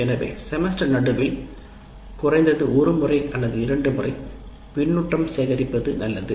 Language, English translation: Tamil, So it is a good idea to have at least once or twice feedback in the middle of the semester